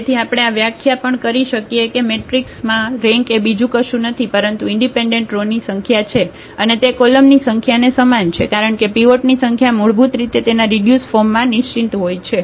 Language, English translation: Gujarati, So, we can have also this definition that the rank is nothing but the number of independent rows and they are the same the column because the number of pivots are basically fixed in its reduced form